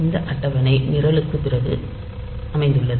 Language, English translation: Tamil, So, this table is located just after the program